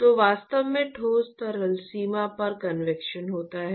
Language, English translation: Hindi, So, what really occurs is the convection at the solid liquid boundary